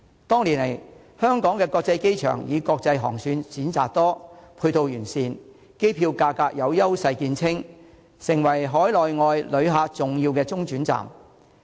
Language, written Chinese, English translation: Cantonese, 多年來，香港的國際機場以國際航線選擇多、配套完善、機票價格有優勢見稱，成為海內外旅客重要的中轉站。, Over the years HKIA has been known for wide - ranging choices of international routes comprehensive matching facilities and competitive airfares and has become an important transit stop for both overseas and domestic visitors